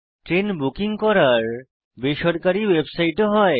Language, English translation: Bengali, There are private website for train ticket booking